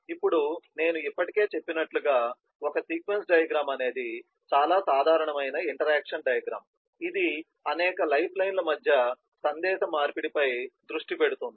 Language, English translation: Telugu, now coming to what is a sequence diagram, as i already mentioned, it is a most common kind of interaction diagram, which focus on the message interchange between a number of lifelines